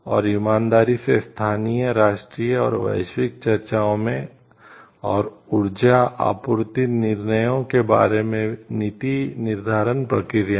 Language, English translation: Hindi, And honestly in local national and global discussions and, policymaking processes regarding energy supply decisions